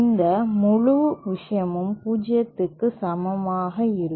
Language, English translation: Tamil, This whole thing will be equal to 0